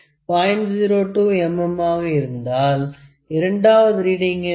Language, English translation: Tamil, 02 mm what will be the second reading